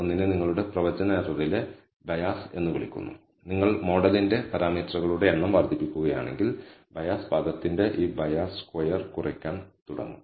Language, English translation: Malayalam, One is called the bias in your prediction error and if you know if you increase the number of parameters of the model, this bias squared of the bias term will start decreasing